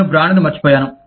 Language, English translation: Telugu, I have forgot the brand